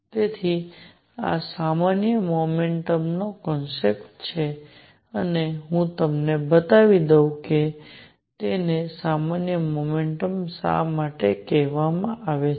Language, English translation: Gujarati, So, this is the concept of generalized momentum and let me show you why it is called generalized momentum